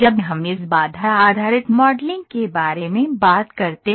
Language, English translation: Hindi, When we talk about this constraint based modeling